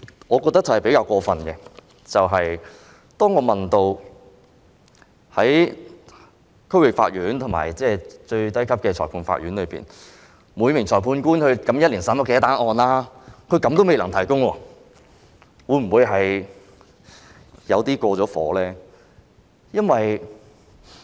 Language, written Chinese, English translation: Cantonese, 我認為比較過分的一點，就是當我問到區域法院及最低級的裁判法院，每名裁判官及法官一年審理的案件數目時，司法機構居然亦未能提供。, What was fairly outrageous to me was that the Judiciary could not even provide an answer to my question about the number of cases handled by each judge in the District Court and each magistrate in the lowest level of courts the Magistrates Courts